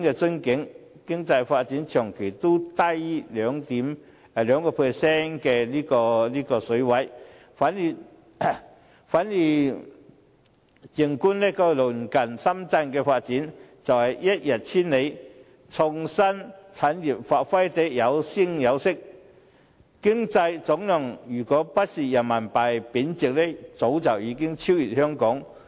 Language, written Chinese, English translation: Cantonese, 我們的經濟發展長期都低於 2% 的水平；反觀鄰近的深圳，發展更是一日千里，創新產業有聲有色，若非人民幣貶值，經濟總量早已超越香港。, The level of our economic development has remained at a low level of 2 % for a long time . On the contrary the development of Shenzhen in our neighbourhood is tremendously rapid with a vibrant innovative industry . If Renminbi had not been depreciated Shenzhen would have already outperformed Hong Kong in terms of economic aggregate